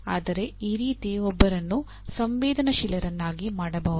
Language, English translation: Kannada, But that is the way one can sensitize